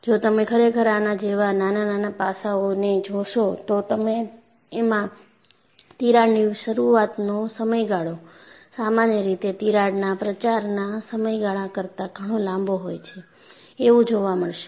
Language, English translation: Gujarati, If you really look at the subtle aspect like this, you will find the crack initiation period is generally much longer than the crack propagation period